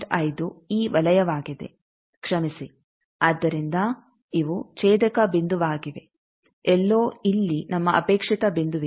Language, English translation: Kannada, 5 by thing is this circles sorry, so these intersection points somewhere here is our desire that point